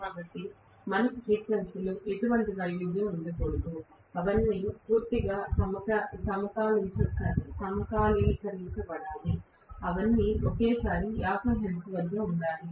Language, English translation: Telugu, So, we cannot have any variation in the frequency whatsoever, all of them have to be completely synchronised, they all have to be simultaneously at 50 hertz